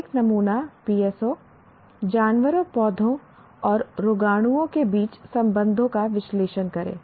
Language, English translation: Hindi, A sample PSO, analyze the relationships among animals, plants and microbes